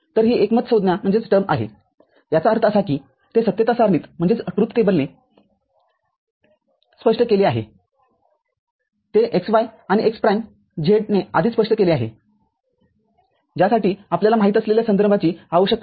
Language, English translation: Marathi, So, this is a consensus term; that means, what is explained by yz in a truth table is already explained by xy and x prime z for which it does not require another you know, reference